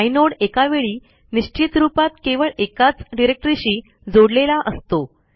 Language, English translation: Marathi, Inodes are associated with precisely one directory at a time